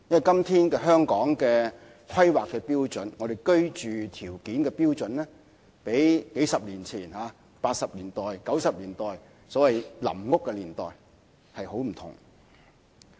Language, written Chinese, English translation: Cantonese, 今天香港的規劃標準，即居住標準較數十年前，即八九十年代，或所謂臨時房屋區年代，有很大差別。, Today our planning standard that is standard of living space is very different to those of several decades ago that is in the 1980s and 1990s or the so - called temporary housing era